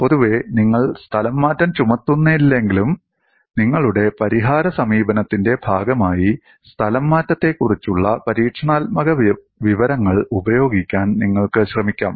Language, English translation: Malayalam, Though, in general, you do not impose the displacement, you may try to use experimental information on displacement as part of your solution approach